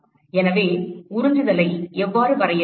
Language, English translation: Tamil, So, how do we define absorptivity